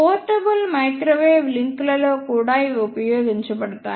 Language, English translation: Telugu, And these are also used in portable microwave links